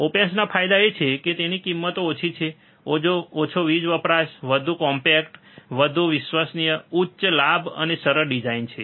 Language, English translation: Gujarati, The advantages of op amps are it is low cost, right less power consumption, more compact, more reliable, high gain and easy design